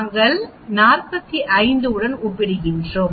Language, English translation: Tamil, 4 then we say we are comparing with 45